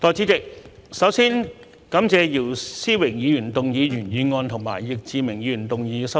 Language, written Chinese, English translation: Cantonese, 代理主席，首先感謝姚思榮議員動議原議案及易志明議員動議修正案。, Deputy President first of all I would like to thank Mr YIU Si - wing for moving the original motion and Mr Frankie YICK for moving the amendment